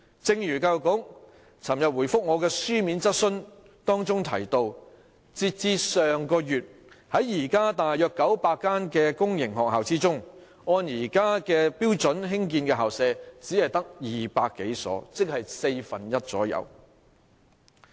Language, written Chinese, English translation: Cantonese, 正如教育局昨天回覆我的書面質詢提到，截至上月，在現時約900間公營學校中，按現行標準興建的校舍只有200多所，即大約四分之一。, In reply to my written question the Education Bureau indicated yesterday that as at last month among about 900 public sector schools only about 200 or a quarter of them were built according to the prevailing standards